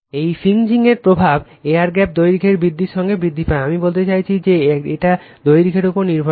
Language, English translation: Bengali, And the effect of fringing increases with the air gap length I mean it is I mean it depends on the length right